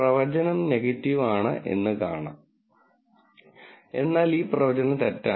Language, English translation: Malayalam, The prediction is negative, but this prediction is false